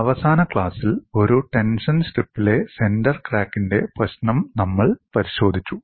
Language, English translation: Malayalam, In the last class, we looked at the problem of a center crack in a tension strip